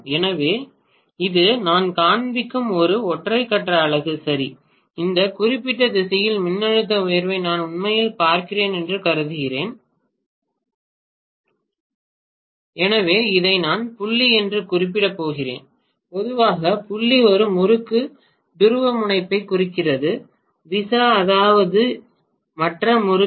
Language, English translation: Tamil, So this is one single phase unit I am showing, right and I am assuming that I am actually looking at the voltage rise in this particular direction so I am going to mention this as dot, generally the dot indicates the polarity of one winding visa viz the other winding